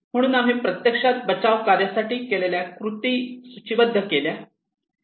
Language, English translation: Marathi, So we actually listed down the actions for rescue operations